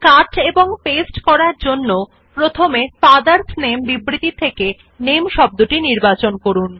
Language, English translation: Bengali, In order to cut and paste this word, first select the word, NAME in the statement, FATHERS NAME